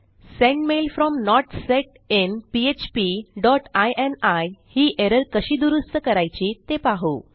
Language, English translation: Marathi, How do we fix this Sendmail from not set in php dot ini error